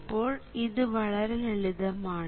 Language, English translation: Malayalam, ok, this is still very, very easy